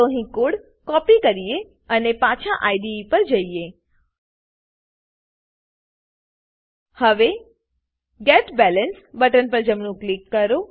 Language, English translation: Gujarati, Let us copy the code here and let us go back to the IDE Now right click on the Get Balance button